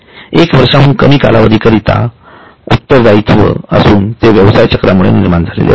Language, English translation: Marathi, It is less than one year period and it comes from the business cycle